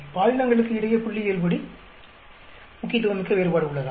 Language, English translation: Tamil, Is there a statistically significant difference between the sexes or the genders